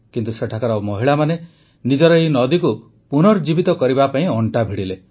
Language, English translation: Odia, But, the womenfolk there took up the cudgels to rejuvenate their river